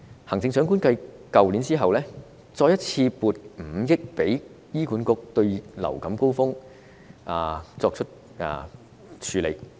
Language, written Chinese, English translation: Cantonese, 行政長官繼去年後再一次性撥出5億元給醫管局應對流感高峰期。, Following the grant last year the Chief Executive once again made a one - off grant of 500 million to the Hospital Authority HA to cope with the influenza surge